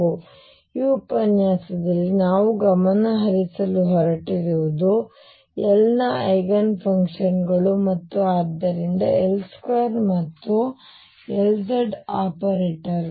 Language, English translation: Kannada, So, what we are going to focus on in this lecture are the Eigenfunctions of L and therefore, L square and L z operators